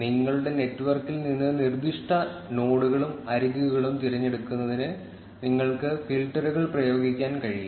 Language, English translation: Malayalam, You can apply filters to select specific nodes and edges from your network